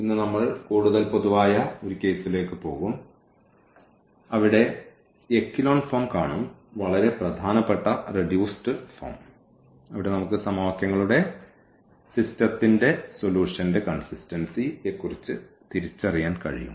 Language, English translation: Malayalam, So, today we will go for more general case where we will see these echelon form, a very important reduced form where we can identify about the consistency of the solution or the system of equations